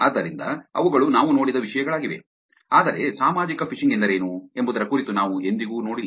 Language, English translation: Kannada, So, those are the topics that we saw, but we never saw about what social phishing is